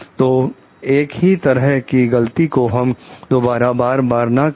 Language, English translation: Hindi, So, that the same mistake does not get repeated again